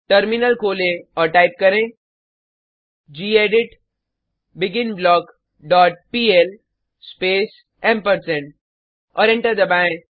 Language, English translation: Hindi, Open the Terminal and type gedit beginBlock dot pl space ampersand and press Enter